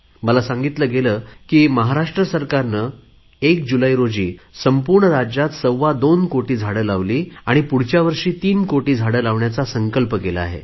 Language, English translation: Marathi, I have been told that the Maharashtra government planted about 2 crores sapling in the entire state on 1st July and next year they have taken a pledge to plant about 3 crores trees